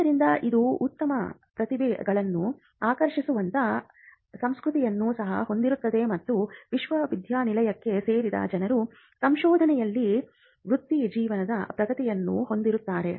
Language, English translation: Kannada, So, it also sets a culture where you can attract good talent and people who joined the university will have a career progression in research as well